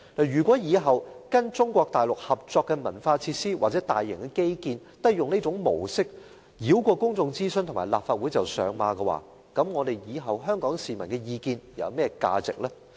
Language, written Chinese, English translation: Cantonese, 如果以後跟中國大陸合作的文化設施或大型基建也採用這種模式，繞過公眾諮詢和立法會便上馬，那麼日後香港市民的意見還有何價值？, In respect of future cooperation with Mainland China on cultural facilities or major infrastructure projects if this approach of bypassing public consultation and the Legislative Council to immediately implement the projects is adopted will the opinions of Hong Kong people have any value in the future?